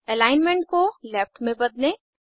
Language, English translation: Hindi, Change the alignment to the left